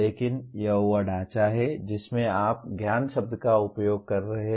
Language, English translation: Hindi, But that is the framework in which you are using the word knowledge